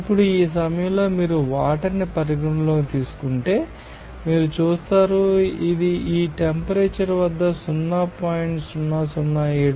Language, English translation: Telugu, Now, at this point you will see if you consider water you will see that this point this is that 0